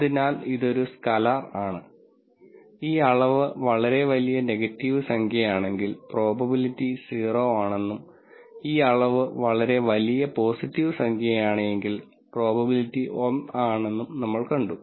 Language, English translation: Malayalam, So, this is a scalar and then we saw that if this quantity is a very large negative number, then the probability is 0 and if this quantity is a very large positive number the probability is 1